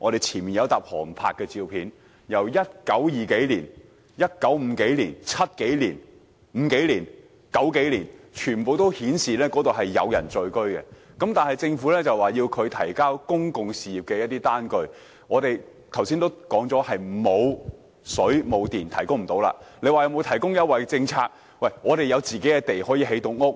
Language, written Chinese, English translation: Cantonese, 前面有一疊航拍照片，自1920年代、1950年代、1970至1990年代，全部均顯示那裏是有人聚居的，但政府卻要求他們提供公用事業的單據，我們剛才已經說明，村落因為當時並無水電供應而無法提供，至於曾否獲提供優惠政策方面，村民有自己的土地可以建屋。, All of them show that the village has been inhabited but still the Government requires them to provide bills of public utilities as proofs . We have clearly stated just now that it is impossible for the villagers to provide such proofs since both water supply and power supply were not available in those days . As to whether the village houses had been granted on concessionary terms well the villagers have their own land for construction of houses